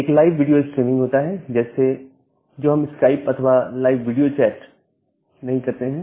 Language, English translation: Hindi, And there is also kind of live video streaming like, what we do in case of Skype or live video chat